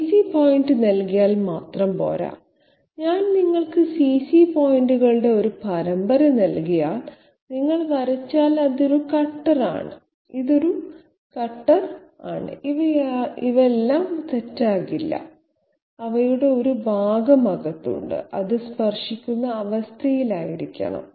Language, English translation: Malayalam, Just giving CC point is not enough, if I give you a series of CC points, and you draw okay this is the cutter, this is the cutter, this is the cutter, no all these would be wrong, part of them are inside, it should be in the touching condition